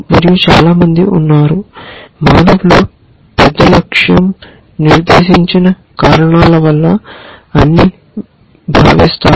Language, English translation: Telugu, And there are people, a lot of people who feel that human beings by and large are goal directed reasons